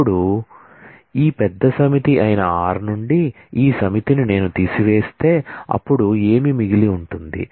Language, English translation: Telugu, Now, if I subtract this r minus s which is this set from r which is this bigger set, then what will be remaining